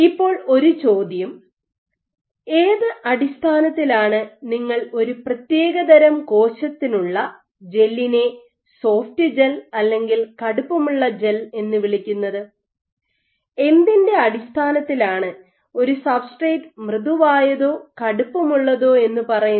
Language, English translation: Malayalam, Now one of the questions is for a given cell type on what basis do you call a gel a soft gel versus a stiff gel, what might be your basis is for calling us as substrate soft or stiff